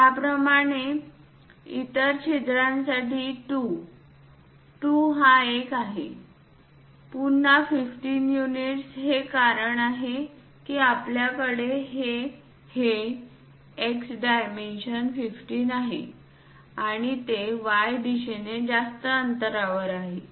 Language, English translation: Marathi, Similarly, for the other holes like 2, 2 is this one; again 15 units that is the reason we have this X dimension 15 and it is at a longer distance in Y direction